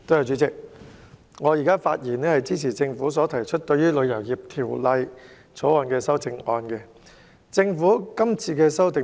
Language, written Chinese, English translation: Cantonese, 主席，我發言支持政府就《旅遊業條例草案》提出的修正案。, President I speak in support of the Governments proposed amendments to the Travel Industry Bill the Bill